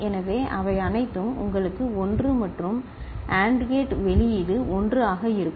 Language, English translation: Tamil, So, all of them will give you an output which is 1 and the AND gate output will be 1